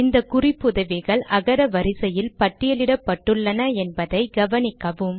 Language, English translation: Tamil, Note that these references are also listed alphabetically